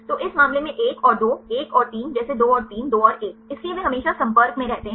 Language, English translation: Hindi, So, in this case 1 and 2 1 and 3 like 2 and 3, 2 and 1